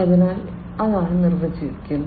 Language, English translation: Malayalam, So, that is what is defined